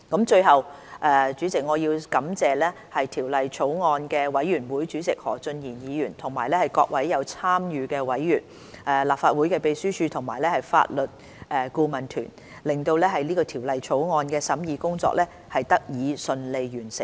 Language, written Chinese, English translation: Cantonese, 最後，我要感謝法案委員會主席何俊賢議員及各位參與審議的委員、立法會秘書處和法律顧問團隊，令《條例草案》的審議工作得以順利完成。, Lastly I would like to thank Mr Steven HO Chairman of the Bills Committee as well as the members who took part in the scrutiny the Legislative Council Secretariat and the legal advisory team for successfully completing the scrutiny of the Bill